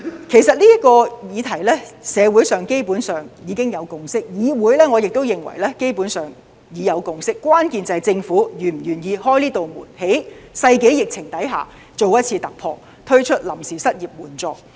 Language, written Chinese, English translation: Cantonese, 其實，就這個議題，社會基本上已有共識；至於議會，基本上，我亦認為已有共識，關鍵是政府是否願意開啟這道門，在世紀疫情下作一次突破，推出臨時失業援助。, As a matter of fact regarding this issue actually there is already a consensus in society . With regards to the legislature basically I also consider a consensus has already been reached . The crux is whether or not the Government is willing to open the door and launch the unemployment assistance by making a breakthrough in the face of this pandemic of the century